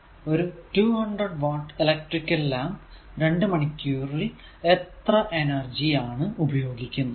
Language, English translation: Malayalam, 9 right, that how much energy does a 200 watt electriclamp consume in 2 hours right